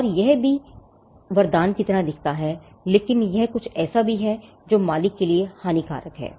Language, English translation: Hindi, And this also is it looks like a boon, but it is also something which is disadvantageous to the owner